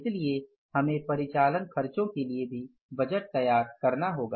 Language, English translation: Hindi, So, we will have to prepare the budget for the operating expenses also